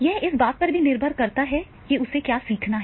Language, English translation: Hindi, Now it also depends that is the what is to be learned